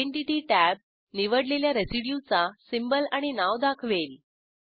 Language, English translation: Marathi, Identity tab shows Symbol and Name of the selected residue